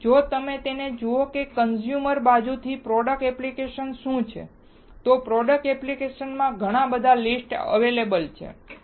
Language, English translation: Gujarati, So, if you see it what product application from consumer side is, there are several list of product applications